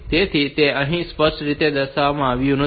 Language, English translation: Gujarati, So, that is not shown here explicitly